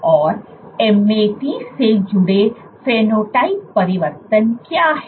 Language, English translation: Hindi, And what are the phenotypic changes associated with MAT